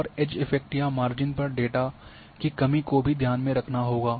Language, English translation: Hindi, And edge effects or lack of data at the margins